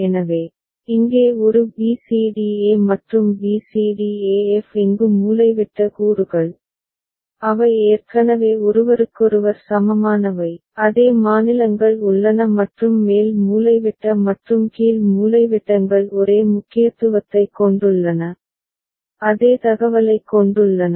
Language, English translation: Tamil, So, a b c d e over here and b c d e f over here because the diagonal elements, they are already equivalent with each other, the same states are there and upper diagonal and lower diagonal carry the same significance, carry the same information